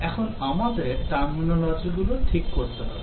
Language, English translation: Bengali, Now, let us get our terminology correct